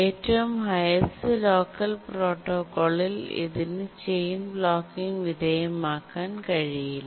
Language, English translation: Malayalam, What it means is that under the highest locker protocol chain blocking cannot occur